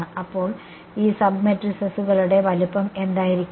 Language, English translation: Malayalam, So, what will be the size of these sub matrices